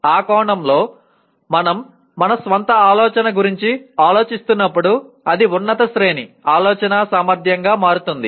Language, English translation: Telugu, In that sense as we are thinking of our own thinking it becomes a higher order thinking ability